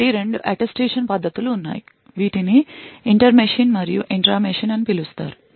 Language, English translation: Telugu, So, there are 2 Attestation techniques which are possible one is known is the inter machine and the intra machine